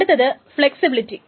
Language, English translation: Malayalam, The next is flexibility